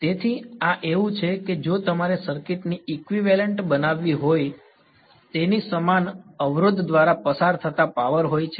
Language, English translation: Gujarati, So, this is like if you want to make a circuit equivalent of its like power that is going through a resistor once its goes its goes